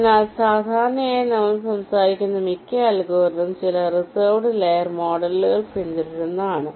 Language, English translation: Malayalam, so usually most of the algorithm we talk about will be following some reserved layer model